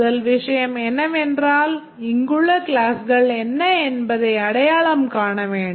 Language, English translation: Tamil, The first thing is to identify what are the classes here